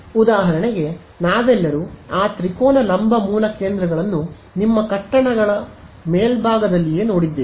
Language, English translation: Kannada, So, just a typical example, we have all seen those triangular vertical base stations right on your tops of buildings and all